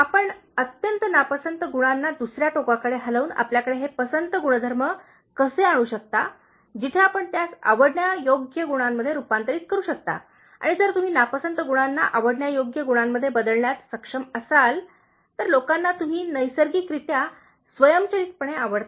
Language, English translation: Marathi, How we can have this likeable traits, by moving the extreme dislikeable qualities to the other extreme, where you can convert them into likeable ones and if you are able to change dislikeable qualities into likeable ones, people will like us naturally, automatically, people will gravitate towards us because of the maximum number of likeable qualities if you are able to possess